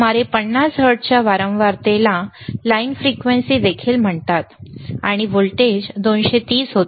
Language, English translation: Marathi, Frequencies around 50 hertz is also called line frequency and the voltage was 230 volts